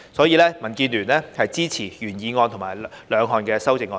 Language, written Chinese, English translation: Cantonese, 因此，民建聯支持原議案及兩項修正案。, DAB will thus give its support to the original motion and the two amendments